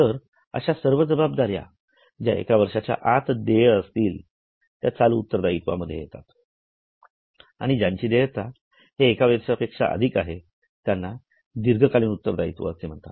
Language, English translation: Marathi, So, all those liabilities which are due and which are payable within one year's time, they are in current liabilities, all those liabilities which are not intended to be paid in one year are non current liabilities